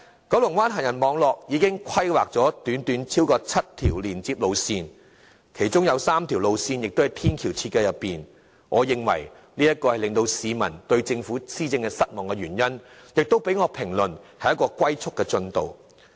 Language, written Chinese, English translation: Cantonese, 九龍灣行人網絡已經規劃了超過7條連接路線，其中3條路線的天橋正在設計中，我認為這是導致市民對政府施政失望的原因，我評之為"龜速"進度。, More than seven link roads have been drawn up in the planned network of pedestrian links in Kowloon Bay but among which the flyovers of the three link roads are still at the design stage . This I think has caused public disappointment with the Government . I deem it a kind of progress made at the speed of a tortoise